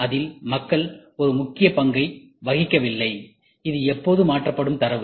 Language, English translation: Tamil, And people do not play an important role; it is always the data which is getting transferred